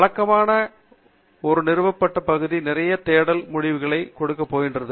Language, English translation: Tamil, Usually, a an established area is going to give a lot of search results